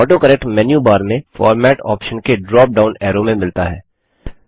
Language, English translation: Hindi, AutoCorrect is found in the drop down menu of the Format option in the menu bar